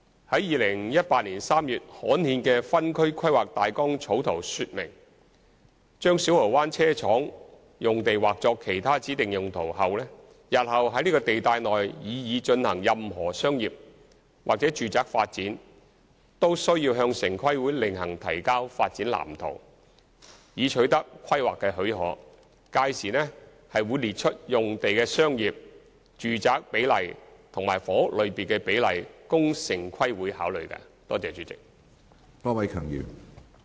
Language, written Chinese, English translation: Cantonese, 於2018年3月刊憲的分區規劃大綱草圖說明，把小蠔灣車廠用地劃作上述"其他指定用途"後，日後在這地帶內擬議進行任何商業/住宅發展，均須向城規會另行提交發展藍圖，以取得規劃許可，屆時會列出用地的商業/住宅比例和房屋類別比例，供城規會考慮。, The draft OZP gazetted in March 2018 specified that after the Site is zoned for Other Specified Uses any future proposed commercialresidential development in the zone requires the submission of a layout plan to TPB to obtain planning permission . By then the commercialresidential ratio and the ratio by housing type will be set out for TPBs consideration